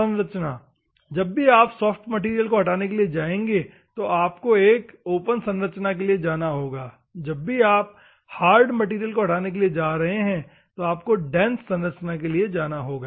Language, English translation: Hindi, The structure, whenever you want to remove a soft material, you have to go for open structure, whenever you want to remove the hard material you have to go for the hard, dense structure, ok